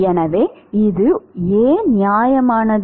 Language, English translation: Tamil, So why is this justified